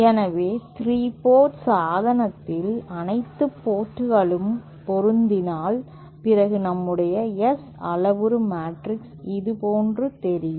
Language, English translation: Tamil, So, in a 3 port device, if all the ports are matched, then our S parameter matrix looks something like this